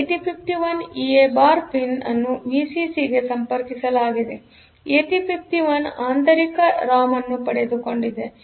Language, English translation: Kannada, For 8051 EA bar pin is connected to Vcc; so because 8051 has got internal ROM